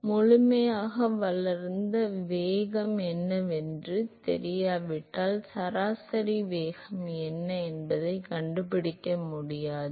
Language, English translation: Tamil, So, if I do not know what the local velocity is at least in fully developed regime then I will not be able to find out what is the average velocity